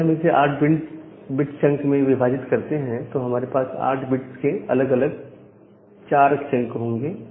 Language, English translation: Hindi, So, if we divide into 8 bit chunks, we will have four different chunks of 8 bits